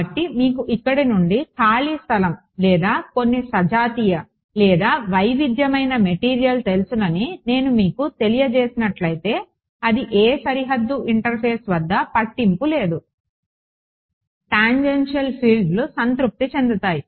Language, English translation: Telugu, So, if I have let us say you know free space from here or some homogenous or even heterogeneous material it does not matter at any boundary interface tangential fields are satisfied